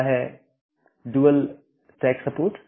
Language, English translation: Hindi, One is the dual stack support